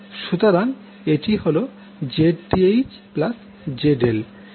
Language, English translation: Bengali, So, that is Zth plus ZL